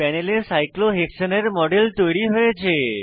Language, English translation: Bengali, A model of cyclohexane is created on the panel